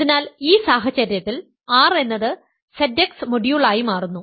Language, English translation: Malayalam, So, consider in this case R to be Z x modulo the ideal x squared